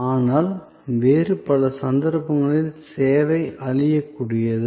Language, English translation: Tamil, But, in many other cases, service is perishable